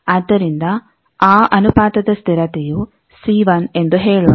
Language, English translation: Kannada, So, that proportionality constant let us say c1